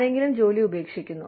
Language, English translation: Malayalam, Somebody, just leaves their job